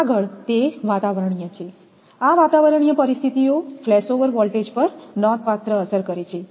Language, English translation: Gujarati, Next, is that atmospheric; these atmospheric conditions affect considerably the flashover voltages